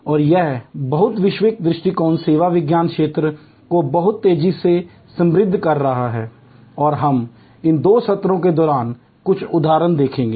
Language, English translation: Hindi, And this multi disciplinary approach is enriching the service science domain very rapidly and we will see some examples during these two sessions